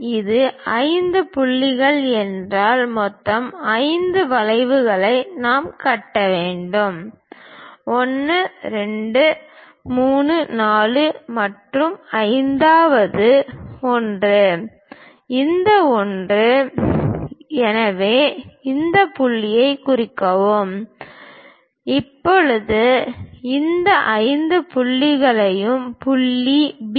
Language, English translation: Tamil, If it is 5 points, in total 5 arcs, we have to construct; 1, 2, 3, 4, and the 5th one; this one; so, mark these points; now connect this 5th point with point B